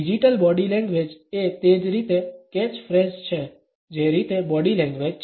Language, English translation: Gujarati, Digital Body anguage is a catch phrase in the same manner in which body language is